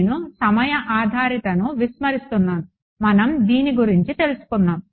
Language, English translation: Telugu, I am ignoring the time dependency we have already taken care of that